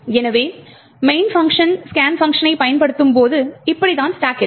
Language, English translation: Tamil, So, when the main function invokes the scan function this is how the stack is going to look like